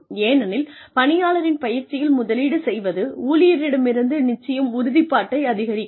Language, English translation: Tamil, Investing in the training of an employee, will definitely increase the commitment, from the employee